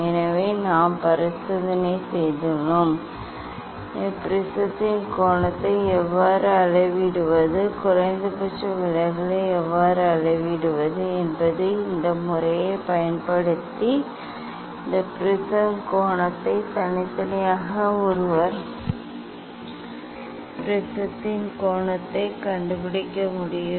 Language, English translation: Tamil, already we have done the experiment, how to measure the angle of prism, how to measure the minimum deviation this angle of prism without using this method one can separately one can find out the angle of prism also